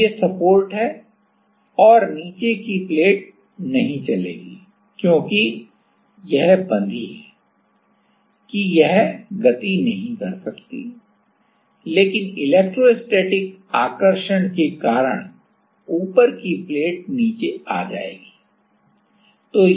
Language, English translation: Hindi, So, these are the supports and the bottom plate anyway will not move, because it is fixed it cannot move, but the top plate will come down because of electrostatic attraction